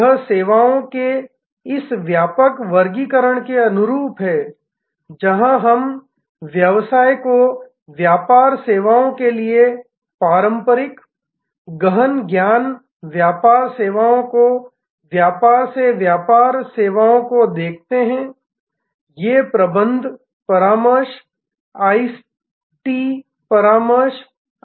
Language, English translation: Hindi, It is in conformity with this broader classification of services, where we see business to business services traditional, knowledge intensive business services business to business services, these are like management consultancy, IT consultancy, etc